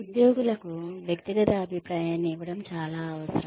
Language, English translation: Telugu, It is very very essential to give individual feedback to the employees